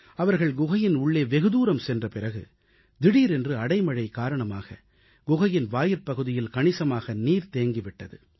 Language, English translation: Tamil, Barely had they entered deep into the cave that a sudden heavy downpour caused water logging at the inlet of the cave